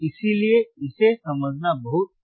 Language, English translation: Hindi, So, it is very easy to understand